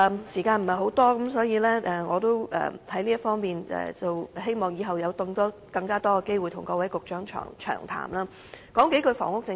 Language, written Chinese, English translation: Cantonese, 時間不多，我希望日後有更多機會跟各位局長詳談這問題。, Time is running short . I hope I can have more opportunities of thorough discussion on this issue with various Bureau Directors in future